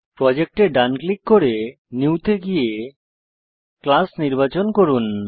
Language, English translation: Bengali, Right click on the Project , New select Class